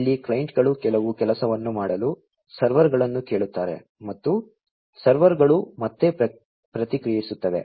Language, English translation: Kannada, Here, also the clients ask the servers to do certain work and the servers respond back